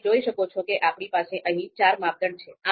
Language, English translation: Gujarati, So we have four criteria here as you can see